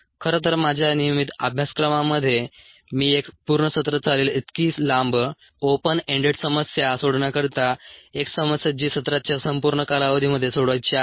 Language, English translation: Marathi, infact, in my regular courses i do assign as long open ended problem solve a problem to be solved over the entire length of the semester